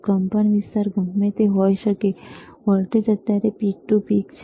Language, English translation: Gujarati, Aamplitude you can be whatever, voltage is peak to peak right now